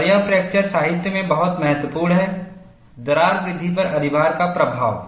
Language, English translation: Hindi, And this is very important, in the fracture literature Influence of overload in crack growth